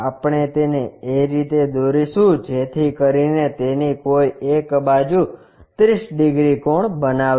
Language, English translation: Gujarati, We draw it in such a way that one of the sides makes 30 degrees angle